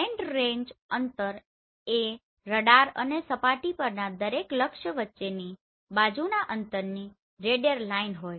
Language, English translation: Gujarati, Slant range distance the radial line of side distance between the radar and each target on the surface